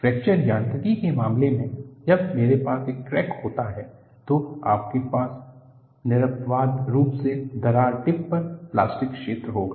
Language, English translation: Hindi, In the case of Fracture Mechanics, when I have a crack, you will invariably have plastic zone at the crack tip